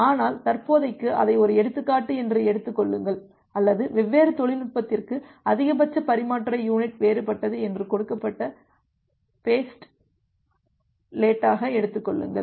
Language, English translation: Tamil, But for the time being, just take it as an example, or take it as an given postulate that for different technology the maximum transmission unit is different